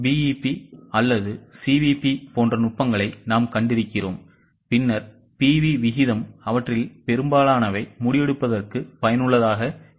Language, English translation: Tamil, We have seen techniques like BP or CVP, then PV ratio, most of them are useful for decision making